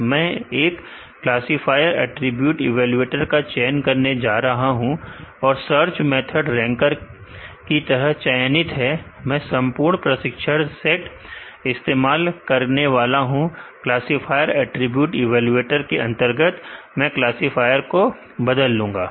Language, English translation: Hindi, I am going to choose one of the evaluator, I am going to choose the classifier attribute evaluator and, the search method is chosen as ranker, I am going to use full training set, under the classifier attribute evaluator I am going to change the classifier